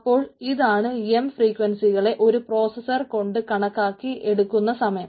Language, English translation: Malayalam, so this is the time to compute m frequencies with a single processor